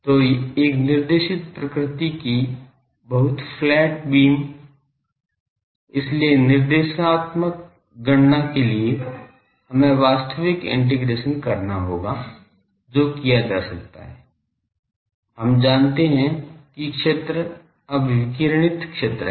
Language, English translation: Hindi, So, very flat beam to a directed nature so, for directive calculation, we have to do actual integration that can be done, we know the fields now radiated zone